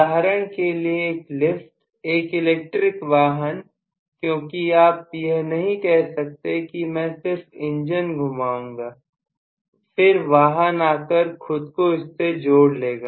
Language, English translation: Hindi, Like for example an elevator, lift, an electric vehicle because you cannot say that I will just rotate the engine then vehicle come and attach itself